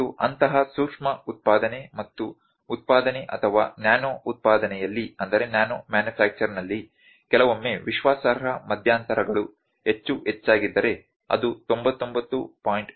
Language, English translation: Kannada, And in a such an maybe micro manufacturing on and manufacturing or nano manufacturing sometime the confidence intervals are much greater it is 99